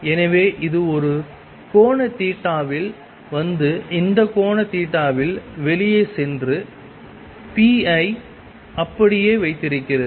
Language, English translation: Tamil, So, it was coming at an angle theta and went out at this angle theta, keeping the p the same